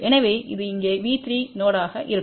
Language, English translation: Tamil, So, that will be V 3 node over here